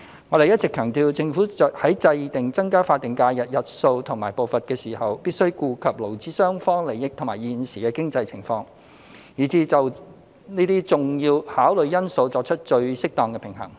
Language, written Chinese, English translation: Cantonese, 我們一直強調，政府在制訂增加法定假日日數和步伐時，必須顧及勞資雙方利益及現時的經濟情況，並就這些重要考慮因素作出最適當的平衡。, All along we have emphasized that the Government has to take into account the interests of employers and employees and the present economic situation and strike the most appropriate balance between these important considerations in formulating the number and pace of increasing the additional SHs